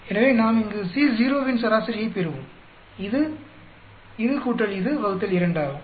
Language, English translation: Tamil, So, we will get an average of C naught here, which is this plus this by 2